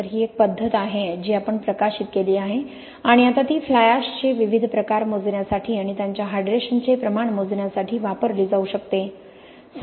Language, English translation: Marathi, So, this is a method which we published and can be used now to quantify the different kind is of fly ashes and also to measure their degree of hydration in fact